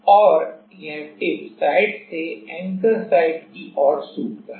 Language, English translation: Hindi, And, this happens from the tip site to the anchor site